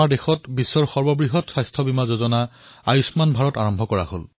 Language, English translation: Assamese, The year 2018 saw the launching of the world's biggest health insurance scheme 'Ayushman Bharat'